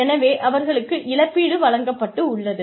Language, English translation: Tamil, So, they have been compensated